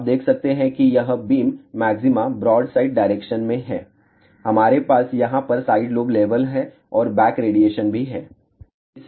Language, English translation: Hindi, So, you can see that this is the beam maxima in broadside direction, we have a side lobe level over here and there is a back radiation also